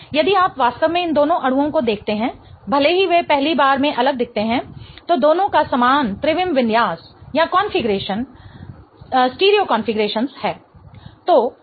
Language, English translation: Hindi, So, if you really see both of these molecules even though they look different on the first go, both of them have the same stereo configuration